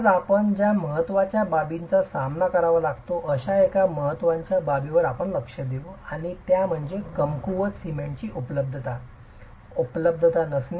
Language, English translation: Marathi, We will touch upon an important aspect that is something that we have to face today and that is the non availability of weak cement